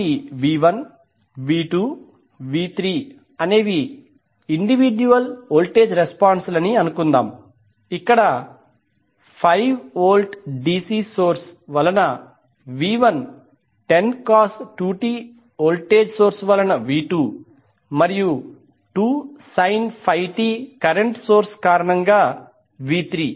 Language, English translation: Telugu, So let us assume that v 1, v 2, and v 3 are the individual voltage responses when you take DC and then the 10 cos 2 t volt and then finally v 3 is corresponding to the current source that is 2 sin 5 t taken into the consideration